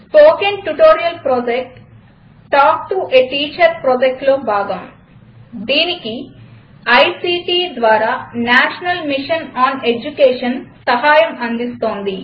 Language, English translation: Telugu, Spoken Tutorial Project is a part of the Talk to a Teacher project, supported by the National Mission on Education through ICT